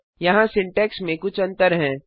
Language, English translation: Hindi, There are a few differences in the syntax